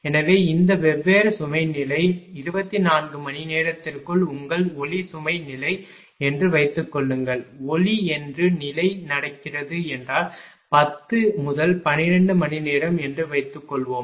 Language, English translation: Tamil, So, all this different load level suppose your light load level out of 24 hours; suppose 10 to 12 hours if it is happening the light load level